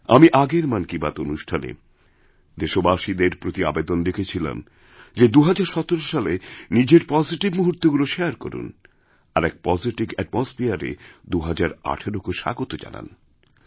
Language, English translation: Bengali, During the previous episode of Mann Ki Baat, I had appealed to the countrymen to share their positive moments of 2017 and to welcome 2018 in a positive atmosphere